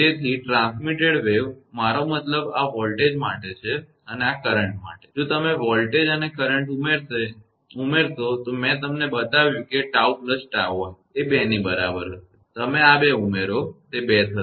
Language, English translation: Gujarati, Therefore, the transmitted wave; I mean this for the voltage and this is for the current, if you add for voltage and current I showed you that tau plus tau i will be is equal to 2; you add these two, it will be 2